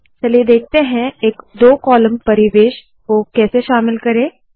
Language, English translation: Hindi, Let us now see how to include a two column environment